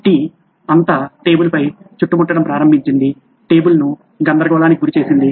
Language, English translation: Telugu, All the tea started spilling all around on the table, started messing up the table